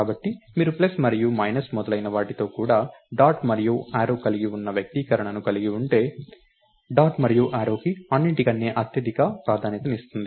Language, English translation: Telugu, So, if you have an an expression which which has a dot and an arrow along with plus and minus and so on, dot and arrow gets highest precedence over everything else